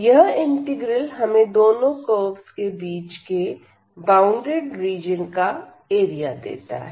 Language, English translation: Hindi, So, this integral will give us the area of the integral of the region bounded by these two curves